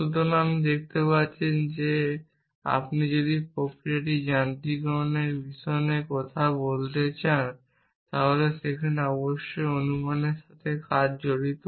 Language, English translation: Bengali, As you can see if you want to talk about mechanizing this process, then there is a little bit of guess work involved there